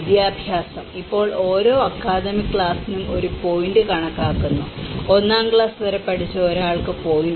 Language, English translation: Malayalam, Education; now each point is counted for each academic class and a person educated up to a class 1 receives 0